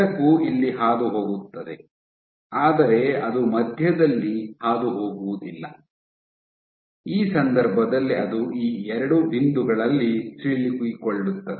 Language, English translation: Kannada, So, light will pass through here through here, but it would not pass through the middle really get structure in this case it gets stuck in these two points ok